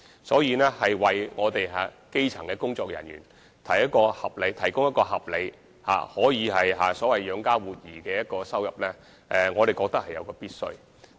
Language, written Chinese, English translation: Cantonese, 所以，為基層工作人員提供合理、所謂可以養家活兒的收入，我們認為是必須的。, Therefore we consider it imperative for elementary workers to make reasonable earnings enough to feed their family so to speak